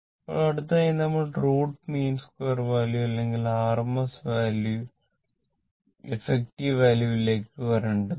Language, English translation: Malayalam, Now, next is that your we have to come to the root mean square value root mean square value r m s value or effective value right